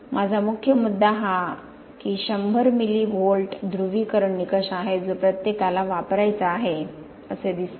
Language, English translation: Marathi, My main issue is the 100 milli Volt polarization criteria which everybody seems to want to use